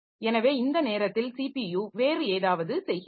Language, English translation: Tamil, So, by this time the CPU may be doing something else